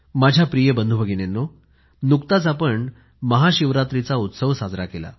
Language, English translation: Marathi, My dear brothers and sisters, we just celebrated the festival of Shivaratri